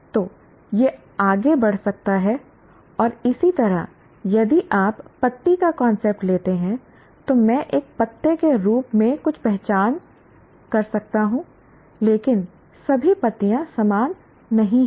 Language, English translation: Hindi, And similarly, if you take the concept of leaf, then I can recognize something as a leaf, but all leaves are not the same